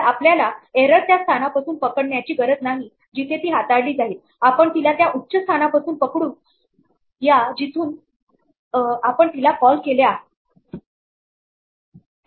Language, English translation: Marathi, So, we do not have to catch the error at the point where its handled we can catch it higher up from the point that is calling us